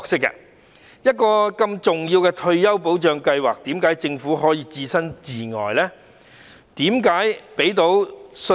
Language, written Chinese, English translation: Cantonese, 如此重要的退休保障計劃，為何政府可以置身事外呢？, Why cant the Government be involved in such an important retirement protection scheme?